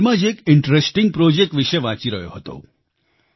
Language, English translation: Gujarati, Recently I was reading about an interesting project